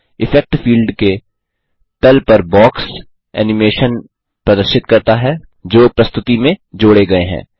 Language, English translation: Hindi, The box at the bottom of the Effect field displays the animations that have been added to the presentation